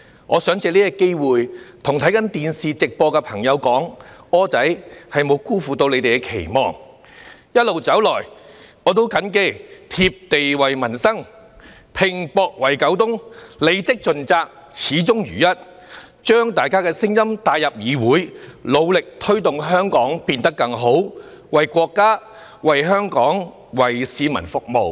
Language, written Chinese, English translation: Cantonese, 我想藉此機會，向正在收看電視直播的朋友說："柯仔"沒有辜負你們的期望，一路走來，我也謹記"貼地為民生，拚搏為九東"，履職盡責，始終如一，把大家的聲音帶入議會，努力推動香港變得更好，為國家、為香港、為市民服務。, I wish to take this opportunity to say to the people watching the broadcast on the television Wilson has lived up to your expectations . I have all - along remembered to stay close to peoples thoughts and work hard for the people in Kowloon East; to perform my duties from the beginning to the end and bring your voices into this Council; and to strive to make Hong Kong better and to serve our country to serve Hong Kong and Hong Kong people